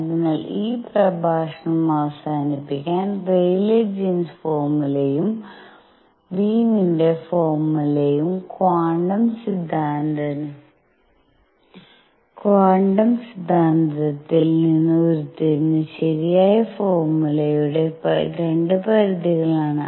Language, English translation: Malayalam, So, to conclude this lecture what we have shown you is that the Rayleigh Jean’s formula and the Wien’s formula are 2 limits of the correct formula which is derived from quantum hypothesis